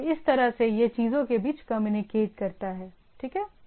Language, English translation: Hindi, So, this way it goes on communicating between the things, right